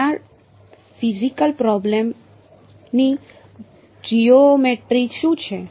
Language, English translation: Gujarati, So, what is the sort of geometry of this physical problem